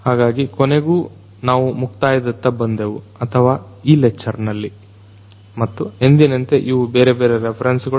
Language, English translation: Kannada, So, finally, we come to an end or in this lecture and as usual these are these different references